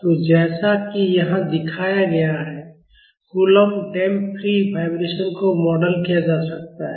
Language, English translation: Hindi, So, the Coulomb Damped Free Vibration can be modeled as shown here